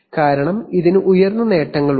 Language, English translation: Malayalam, Because it has higher gains